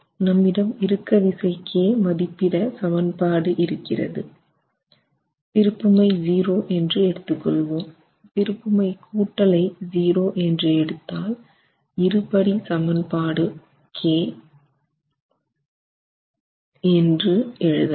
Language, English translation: Tamil, 1 so we have an expression for the compressive force in k taking the moments to be equal to 0, taking the sum of moments is equal to 0, we can write down the quadratic expression in K